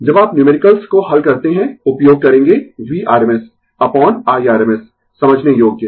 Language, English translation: Hindi, When you solve the numericals, we will use V rms upon I rms understandable right